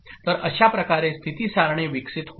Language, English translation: Marathi, So this is the way the state table will evolve